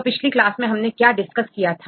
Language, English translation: Hindi, So, what did we discuss in the last class